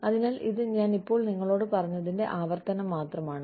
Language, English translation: Malayalam, So, this is just a repetition of, what I told you, right now